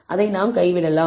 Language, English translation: Tamil, We have done that